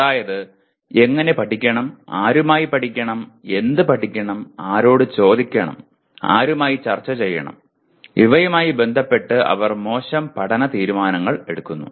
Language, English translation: Malayalam, That means how to study, with whom to study, what to study, whom to ask, with whom to discuss, they make poor study decisions like that